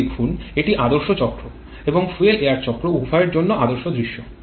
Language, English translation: Bengali, Look at this; this is the ideal scenario for both ideal cycle and a fuel air cycle